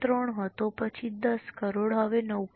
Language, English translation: Gujarati, 3, then 10 crore, now 9